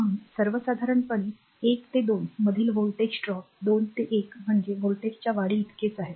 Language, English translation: Marathi, Therefore, this your in general a voltage drop from 1 to 2 is equivalent to the voltage rise from 2 to 1 meaning is same